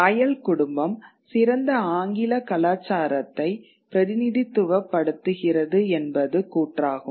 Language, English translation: Tamil, The idea that the royal family represented the best of English culture